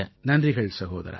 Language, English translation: Tamil, Thank you brother